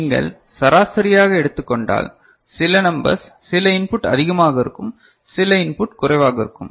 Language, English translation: Tamil, And if you take on average because some numbers some input will be high some input will be low